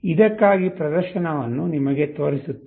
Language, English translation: Kannada, Let us show you the demonstration for this